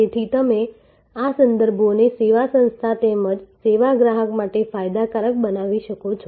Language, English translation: Gujarati, So, you can therefore, make these references beneficial to the service organization as well as the service customer